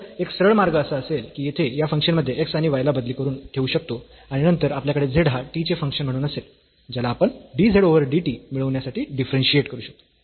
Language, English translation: Marathi, So, one direct way would be that we substitute this x and y here in this function and then we will have z as a function of t which we can differentiate to get dz over dt